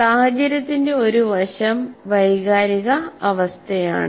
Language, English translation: Malayalam, The situation, one aspect of situation is emotional climate